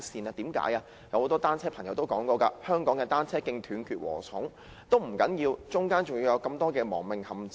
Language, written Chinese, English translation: Cantonese, 其實，很多單車使用者也說香港的單車徑像"斷截禾蟲"，中間還有許麼多亡命陷阱。, In fact many cyclists have criticized the cycle tracks in Hong Kong for being fragmented and full of fatal traps